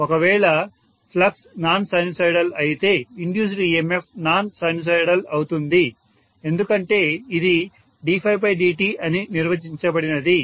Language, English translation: Telugu, If flux is non sinusoidal induced emf will be non sinusoidal because it is after all defined by D phi by dt